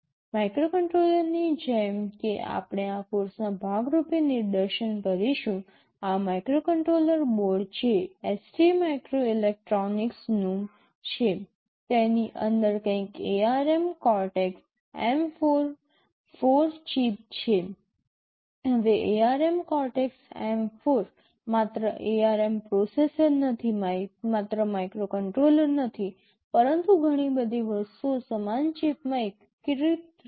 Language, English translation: Gujarati, Like one of the microcontroller that we shall be demonstrating as part of this course, this microcontroller board which is from ST microelectronics, it has something called ARM Cortex M4 chip inside, now ARM Cortex M4 is not only the ARM processor, not only a microcontroller, but lot of other things all integrated in the same chip